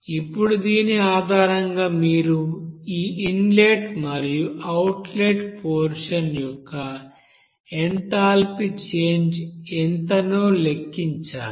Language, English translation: Telugu, Now based on this you have to calculate what should be the enthalpy change from this inlet and outlet portion